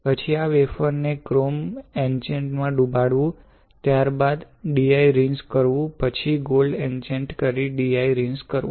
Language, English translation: Gujarati, Then you dip this wafer in chrome etchant followed by DI rinse, then gold etchant followed by DI rinse right